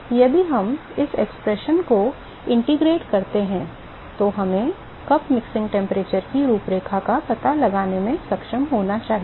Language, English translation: Hindi, So, now, if we integrate this expression, we should be able to find the profile of the cup mixing temperature right